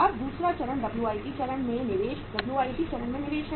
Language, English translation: Hindi, Now the second stage is investment at WIP stage, investment at WIP stage